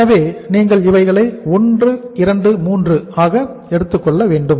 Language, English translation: Tamil, So what you have to take is this is 1, this is 2, and this is 3